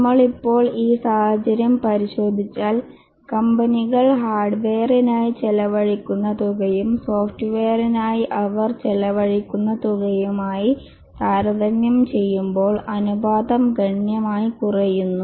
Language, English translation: Malayalam, If we look at the scenario now, we can see that the scenario now, we can see that the amount that the company is spent on hardware versus the amount of the spend on software, the ratio is drastically reducing